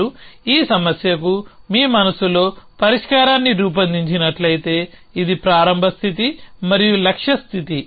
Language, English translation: Telugu, So, if you work out the solution in your mind for this problem where this is the start state an that is a goal state